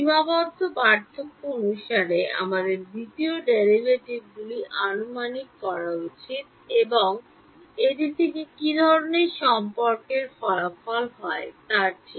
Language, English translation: Bengali, We should approximate the second derivatives by finite differences, and see what kind of relation results from it ok